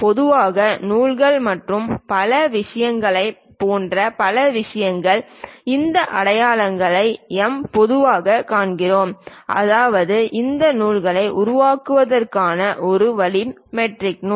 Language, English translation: Tamil, Many other things like typically for threads and other things, we usually see these symbols M; that means, metric thread one way of creating these threads